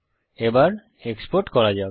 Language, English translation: Bengali, .Let us export